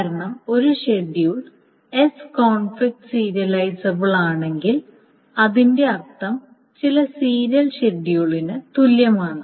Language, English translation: Malayalam, Because if a schedule S is conflict serializable, that means that it is equivalent to some serial schedule